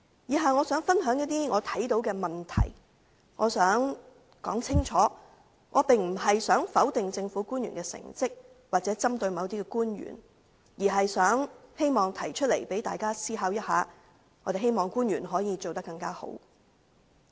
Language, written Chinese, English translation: Cantonese, 以下我想分享我看到的問題，我想表明，我並非想否定政府官員的成績或針對某些官員，而是希望提出問題，讓大家思考一下，希望官員可以做得更好。, Now I wish to share my views on the problems observed by me . I would like to make it clear that I do not mean to negate the achievements of government officials or target certain officials . Instead I am bringing up the issues for consideration in the hope that the officials can perform better